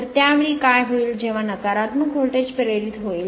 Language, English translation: Marathi, So, at that time what will happen that when negative voltage will be induced